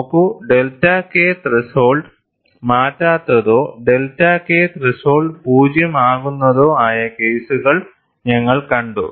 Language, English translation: Malayalam, See, we have seen cases where delta k threshold is not altered or delta K threshold becomes 0